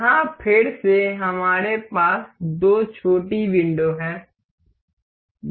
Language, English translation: Hindi, Here again, we have two little windows